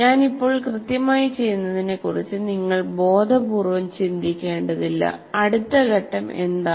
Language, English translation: Malayalam, You don't have to consciously think of what exactly do I do now, what is the next step